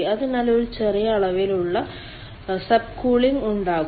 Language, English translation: Malayalam, so there will be small amount of sub cooling